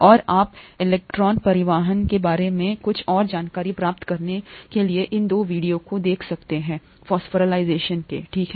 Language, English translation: Hindi, And you could look at these 2 videos to get some more insights about electron transport phosphorylation, okay